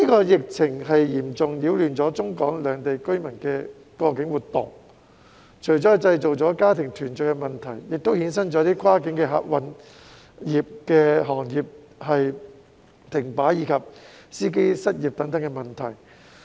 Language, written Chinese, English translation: Cantonese, 疫情嚴重擾亂中港兩地居民的過境活動，這除了製造家庭團聚的問題，亦衍生出跨境客運行業停擺，以及司機失業等問題。, The epidemic has severely disrupted the cross - boundary activities of people both in the Mainland and Hong Kong . Apart from family reunion issues it has also caused a standstill to the cross - boundary passenger service sector and unemployment of drivers